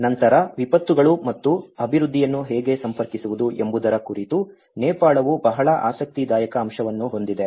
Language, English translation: Kannada, Then, Nepal has very interesting aspect of how to connect the disasters and development